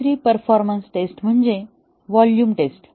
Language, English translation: Marathi, Another performance test is the volume test